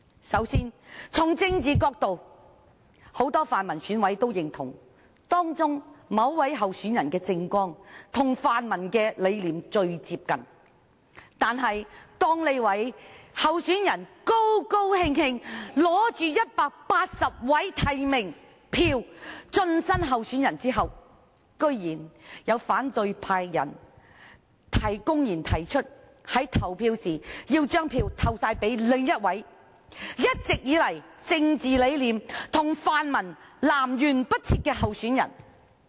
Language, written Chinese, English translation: Cantonese, 首先，從政治的角度而言，很多泛民選委也認同，某位候選人的政綱跟泛民的理念最接近，但當這位候選人興高采烈持着180張提名票進身特首選舉後，居然有反對派選委公然表示，要將所有票投給另一名政治理念一直跟泛民南轅北轍的候選人。, First from the political perspective many pan - democratic EC members also agree that the political platform of one candidate is most in line with the pan - democratic visions . However after this candidate has delightedly submitted 180 nomination votes which qualify him as a candidate in this Chief Executive Election some opposition EC members have surprisingly said in public that they would give all their votes to another candidate whose political ideals have all along been opposite to those of the pan - democratic camp